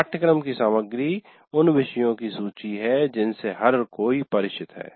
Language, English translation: Hindi, And now content of the course, this is the list of topics which everybody is familiar with